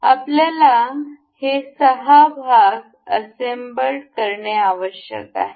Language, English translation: Marathi, We have this six part needs to be assembled to each other